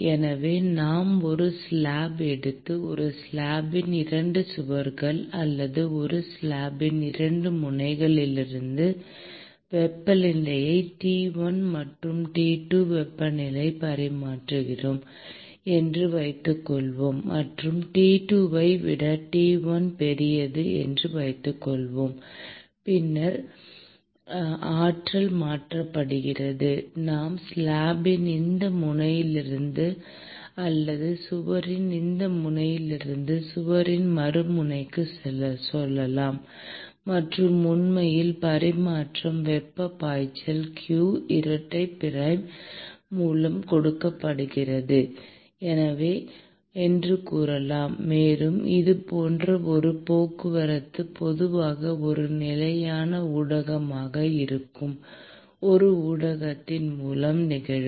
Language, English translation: Tamil, So, suppose we take a slab and we maintain the temperature of the 2 walls of a slab or 2 ends of a slab at temperature T 1 and T 2; and suppose let us say that T 1 is greater than T 2, then the energy is transferred let us say, from this end of the slab or this end of the wall to other end of the wall; and let us say that the flux of heat that is actually transferred is given by q double prime, and this such kind of a transport typically will occur through a medium which could be a stationary medium